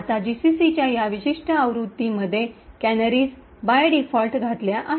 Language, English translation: Marathi, Now in this particular version of GCC that I have used for compiling canaries are inserted by default